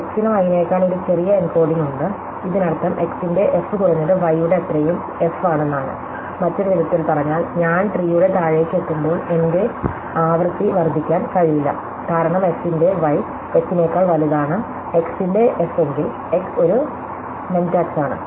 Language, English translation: Malayalam, Then, x has a shorter encoding then y, this must mean that f of x is at least as much f of y, in other word, when I go down the tree my frequency cannot increase, because if f of y would bigger than f of x, that if I had more ys than xs in my text